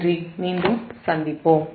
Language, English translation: Tamil, thank you, i will come again